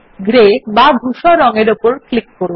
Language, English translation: Bengali, Let us click on Grey color